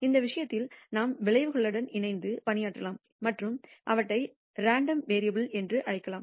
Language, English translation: Tamil, We can work with the outcomes themselves in that case and call them random variables